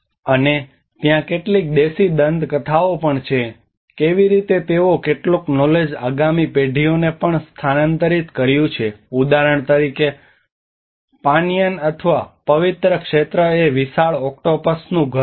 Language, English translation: Gujarati, And there is also certain indigenous myths how they have also transferred some knowledge to the next generations that for example the Panyaan or the sacred area is a home to the giant octopus